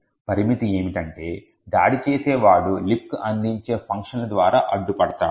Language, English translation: Telugu, The limitation is that the attacker is constraint by the functions that the LibC offers